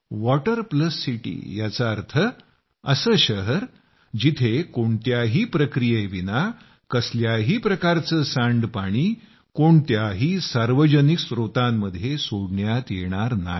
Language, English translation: Marathi, 'Water Plus City' means a city where no sewage is dumped into any public water source without treatment